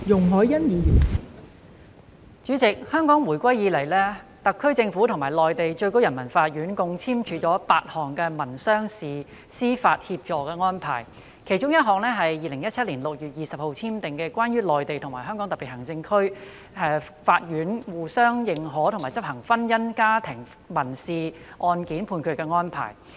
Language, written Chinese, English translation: Cantonese, 代理主席，自回歸以來，特區政府與內地最高人民法院共簽署8項民商事司法協助安排，其中一項是在2017年6月20日簽訂的《關於內地與香港特別行政區法院相互認可和執行婚姻家庭民事案件判決的安排》。, Deputy President since the return of Hong Kong to China eight mutual legal assistance arrangements in civil and commercial matters have been signed between the HKSAR Government and the Supreme Peoples Court SPC of the Peoples Republic of China one of which is the Arrangement on Reciprocal Recognition and Enforcement of Civil Judgments in Matrimonial and Family Cases by the Courts of the Mainland and of the Hong Kong Special Administrative Region signed on 20 June 2017